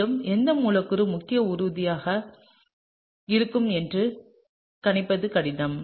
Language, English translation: Tamil, And, it’s difficult for us to predict which molecule is going to be the major product